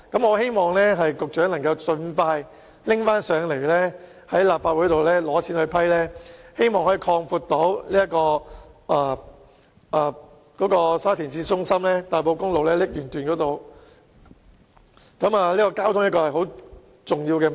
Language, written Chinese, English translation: Cantonese, 我希望局長能盡快再向立法會申請撥款，用以擴闊沙田市中心和大埔公路瀝源段，因為交通的確很重要。, In light of the importance of transport I hope the Secretary can expeditiously submit a funding application to the Legislative Council again in order to widen the above road sections